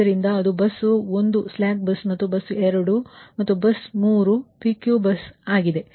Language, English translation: Kannada, so that is bus one is a slack bus, and bus two and bus three are picky bus, right